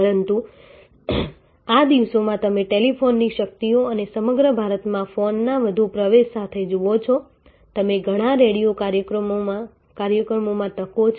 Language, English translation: Gujarati, But, these days as you see with the power of telephone and the with the high penetration of phone across India many radio programs have call in opportunities